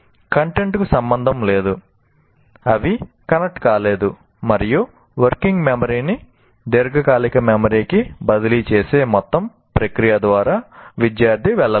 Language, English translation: Telugu, That is precisely because the content is not related, they are not connected, and the student hasn't gone through the entire process of transferring working memory to the long term memory